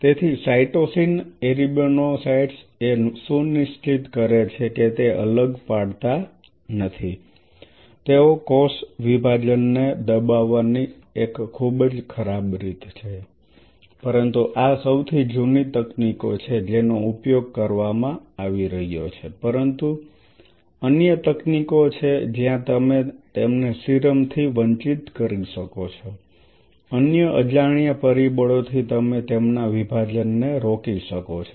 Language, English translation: Gujarati, So, cytosine arabinocytes ensured that they do not separate out which is kind of a very ugly way of doing suppressing the cell division, but these are some of the very oldest techniques which are being used, but there are other techniques where you can deprive them from serum other unknown factors you can stop their division